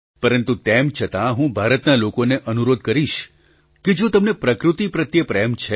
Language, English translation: Gujarati, But even then I will urge the people of India that if you love nature,